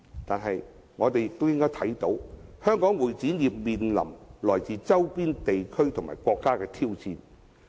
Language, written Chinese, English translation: Cantonese, 但是，我們也應看到，香港會展業面臨來自周邊地區及國家的挑戰。, However we should be aware that Hong Kongs CE industry is facing great challenges from our neighbouring places and countries